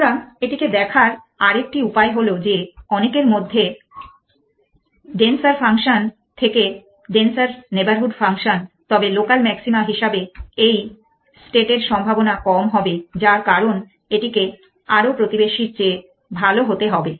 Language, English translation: Bengali, So, in another way of looking at it is that denser function in many if you to the denser neighborhood function then probability of the likely hood of a state being as local maxima becomes lesser because it has to be a better than more neighbors